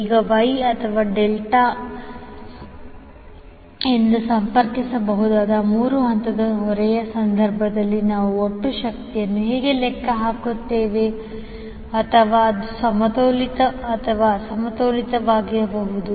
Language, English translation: Kannada, Now, we need to find out how we will calculate the total power in case of three phase load which may be connected as Y or Delta or it can be either balanced or unbalanced